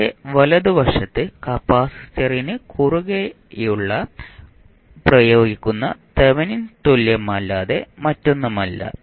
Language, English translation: Malayalam, The right side of that is nothing but Thevenin equivalent which is applied across the capacitor